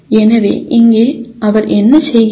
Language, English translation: Tamil, So here what is he doing